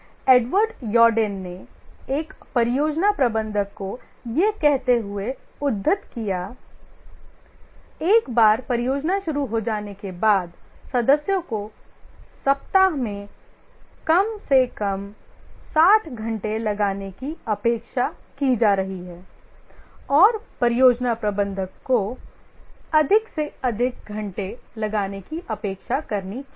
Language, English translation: Hindi, Edward Eardin quotes a project manager saying once a project gets rolling should be expecting members to be putting in at least 60 hours a week and also the project manager must expect to put in as many hours as possible